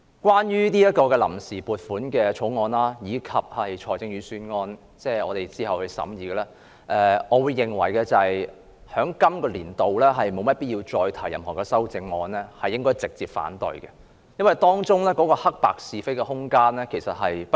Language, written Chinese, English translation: Cantonese, 關於這項臨時撥款決議案，以及我們之後將會審議的財政預算案，我認為在本年度沒必要再提出任何修正案，而應該直接反對，因為當中的黑白是非無需辯論。, Regarding this Vote on Account Resolution and the Budget to be scrutinized by us later I think there is no need to further propose any amendments to them this year . Rather they should be negatived outright for the rights and wrongs involved are unarguable